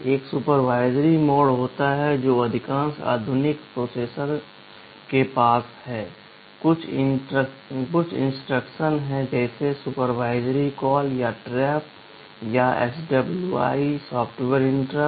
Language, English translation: Hindi, There is a supervisory mode which most of the modern processors have, there are some instructions like supervisory call or trap or SWI software interrupt